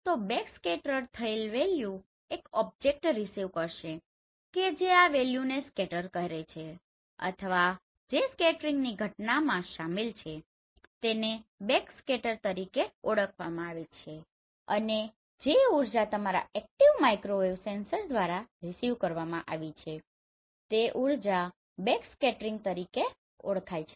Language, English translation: Gujarati, So the backscattered value will be received by this object which are scattering this or which is involved in this scattering phenomena is known as backscatter and the energy which has been received by your active microwave sensor that is actually that energy is known as backscattering right